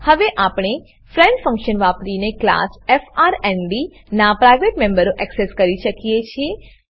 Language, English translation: Gujarati, Now we can access the private members of class frnd using the friend function